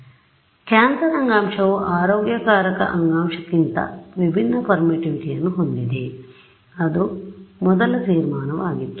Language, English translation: Kannada, So, of course, cancerous tissue has different permittivity from healthy issue that was the first conclusion right